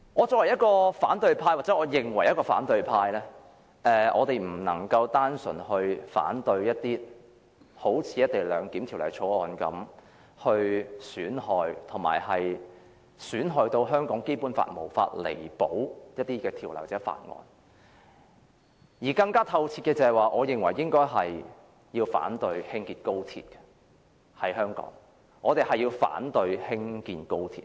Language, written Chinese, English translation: Cantonese, 作為反對派議員——或自認為反對派——我們不能只單純反對好像《條例草案》般把香港《基本法》損害至無法彌補的某些條文或法案，我認為更徹底的做法應該是反對在香港興建高鐵。, Being Members of the opposition camp―or claiming to be the opposition camp―we cannot simply oppose certain provisions or Bills which cause irreparable damage to the Basic Law of Hong Kong like the Bill . In my view a more thorough approach is to oppose the construction of XRL in Hong Kong